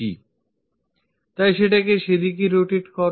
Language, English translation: Bengali, So, rotate that in that direction